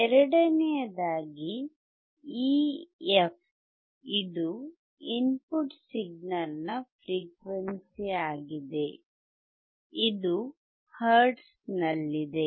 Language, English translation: Kannada, Second, this AF we know now we are talking about this f is the frequency of the input signal in hertz